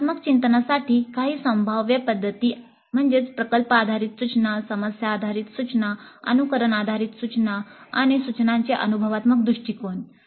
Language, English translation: Marathi, Some of the possible approaches for design thinking would be project based instruction, problem based instruction, simulation based instruction, experiential approach to instruction